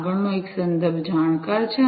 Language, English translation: Gujarati, The next one is context aware